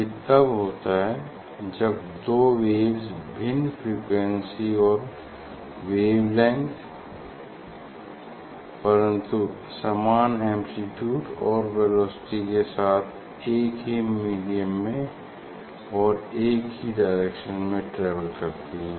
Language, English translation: Hindi, what is so when we get two waves of different frequency and wavelength, but same amplitude and same velocity in same medium so same velocity, because they are in same medium or travelling in the same direction